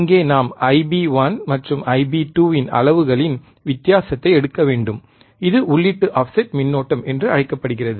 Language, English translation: Tamil, So, quickly again, the difference in the magnitude of I b 1 and I b 2 Ib1 and Ib2 is called input offset current, and is denoted by I ios,